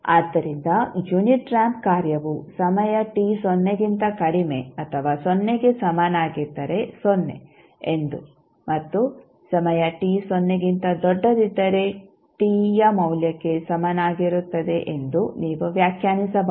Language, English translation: Kannada, So, you can define it like this the unit ramp function will be nothing at 0 at time t less than or equal to 0 and t equal to the value t when time t greater than or equal to 0